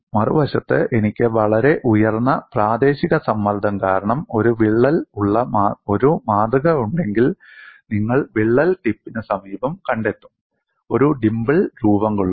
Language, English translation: Malayalam, On the other hand, if I have a specimen, which has a crack because of very high local stress, you will find near the crack tip, a dimple would be formed